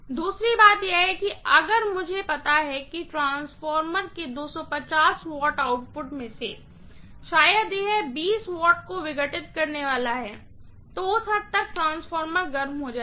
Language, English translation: Hindi, Second thing is if I know that out of the 250 watts output of a transformer, maybe it is going to dissipate 20 watts, to that extent the transformer will get heated up